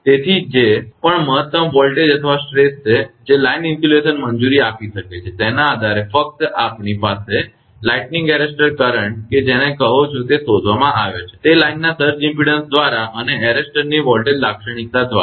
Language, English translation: Gujarati, So, whatever is the maximum voltage or stress that line institution can allow, based on that only arrester your we are have to called a lightning arrester current is determined right, by the surge impedance of the line and by the voltage characteristic of the arrester